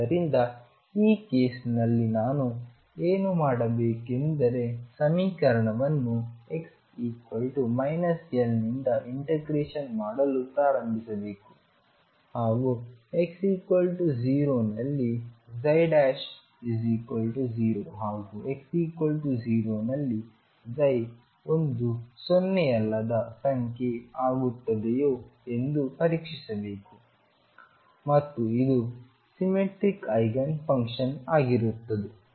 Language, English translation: Kannada, So, what I can do in this case is start integrating the equation from x equals minus L onwards and check if number 1 psi prime is 0 at x equals 0 and psi is non zero at x equals 0 if that is the case you have found your eigenfunction and this would be symmetric eigenfunction